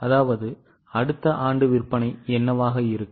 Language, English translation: Tamil, Now what will be the sales for next year